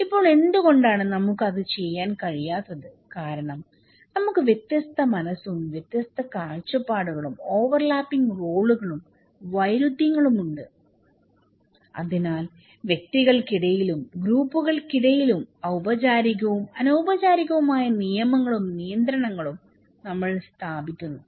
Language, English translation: Malayalam, Now, why we cannot do it because we have different mind, different perspective, overlapping roles and conflicts we have, we possess okay and so, we put rules and regulations upon interactions between individuals or between groups, formal and informal rules and regulations